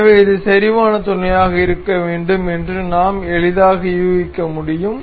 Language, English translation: Tamil, So, we can easily guess this is supposed to be concentric mate